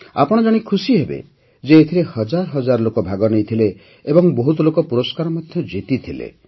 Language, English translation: Odia, You wouldbe pleased to know that thousands of people participated in it and many people also won prizes